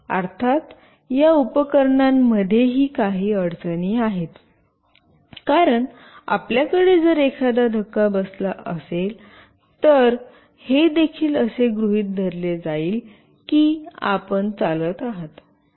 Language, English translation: Marathi, Of course, there are some issues with these devices as well, because if you are just having a jerk, then also it will assume that you are walking